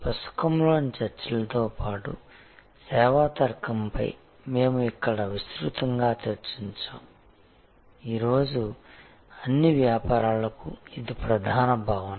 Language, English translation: Telugu, In addition to the discussions in the book, we had an extensive discussion here on service logic; that is the dominant concept for all businesses today